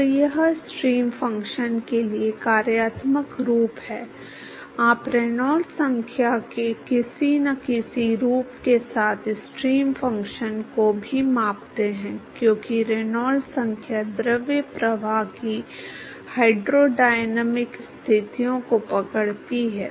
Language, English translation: Hindi, So, that is the functional form for stream function, you scale the stream function also with some form of Reynolds number because Reynolds number captures the hydrodynamic conditions of the fluid flow